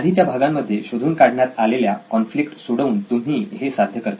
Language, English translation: Marathi, You do this via solving the conflict that you identified earlier stages